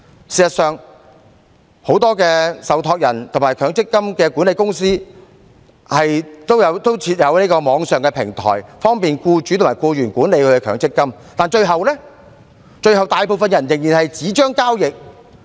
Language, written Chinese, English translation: Cantonese, 事實上，很多受託人和強積金管理公司也設有網上平台，方便僱主和僱員管理其強積金，但最後大部分人仍然以紙張交易。, In fact many trustees and MPF management companies also have their respective online platforms to facilitate the management of MPF accounts by employers and employees . Nonetheless most of these people still resort to paper transactions at the end